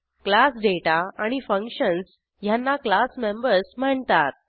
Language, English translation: Marathi, The data and functions of the class are called as members of the class